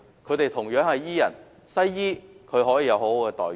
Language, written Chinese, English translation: Cantonese, 他們同樣是醫人，但西醫卻有良好待遇。, They likewise treat our illnesses but Western medicine practitioners are rewarded munificent remunerations